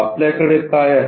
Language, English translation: Marathi, What we have is